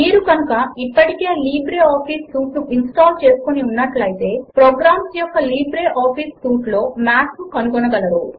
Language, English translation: Telugu, If you have already installed Libreoffice Suite, then you will find Math in the LibreOffice Suite of programs